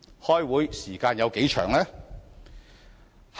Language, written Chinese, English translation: Cantonese, 開會時間有多長？, How long did that meeting last?